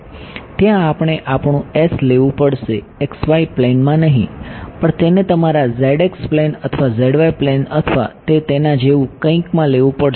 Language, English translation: Gujarati, Right so, there we will have to take our s not in the xy plane, but will have to take it in let say the your zx plane or zy plane or something like that right